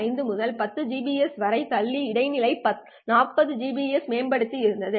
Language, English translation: Tamil, 5 to 10 gbps and there was an intermediate 40 gbps upgrade